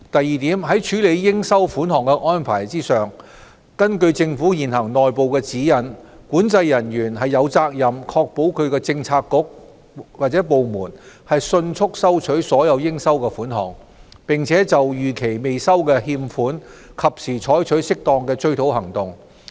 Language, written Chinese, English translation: Cantonese, 二在處理應收款項的安排上，根據政府現行內部指引，管制人員有責任確保其政策局/部門迅速收取所有應收款項，並就逾期未收的欠款及時採取適當的追討行動。, 2 Regarding the handling of receivables according to the existing internal guidelines of the Government Controlling Officers COs are responsible for prompt collection and for taking timely and appropriate actions to recover arrears of revenue within their jurisdiction